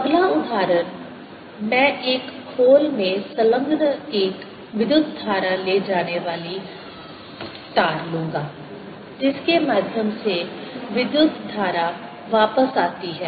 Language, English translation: Hindi, next example: i will take a current carrying wire enclosed in a shell through which the current comes back